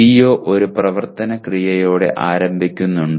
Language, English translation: Malayalam, Does the CO begin with an action verb